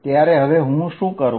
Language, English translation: Gujarati, What would I do then